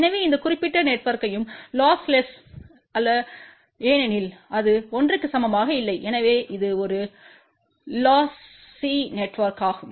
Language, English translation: Tamil, So that means, this particular network is not lossless because it is not equal to 1 hence this is a lossy network